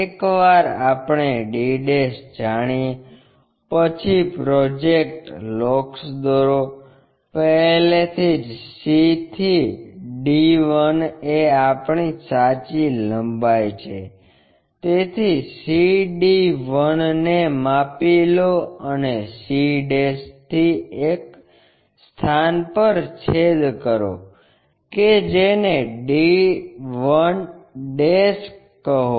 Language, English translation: Gujarati, Once we know d', draw a projector locus; already c to d 1 is our true length, so measure that c d 1 and from c' make a cut on to that locus called d' 1, this is the way we construct our diagram